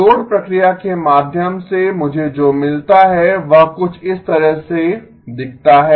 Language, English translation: Hindi, What I get through the addition process is something that looks like this